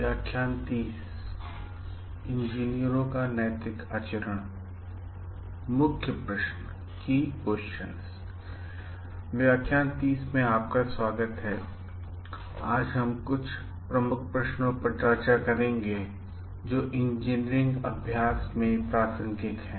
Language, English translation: Hindi, Welcome today we will be discussing some Key Questions which are relevant to engineering practice